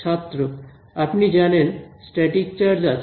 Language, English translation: Bengali, You know static charge present in the